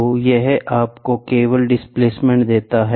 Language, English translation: Hindi, So, this only gives you the displacement